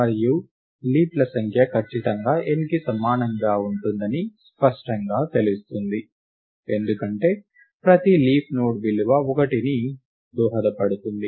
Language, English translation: Telugu, And it is clear that, the number of leaves is exactly equal to n, because every leaf node contributes a value 1